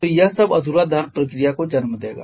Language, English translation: Hindi, So, all of this will lead to the incomplete combustion procedure